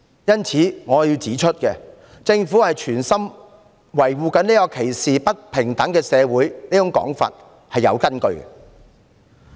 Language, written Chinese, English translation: Cantonese, 因此，我要指出，指責政府存心維護歧視和不平等社會的說法是有其根據的。, Thus I must point out that the argument that the Government intends to condone discrimination and inequality in society is substantiated